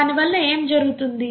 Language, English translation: Telugu, What happens as a result of that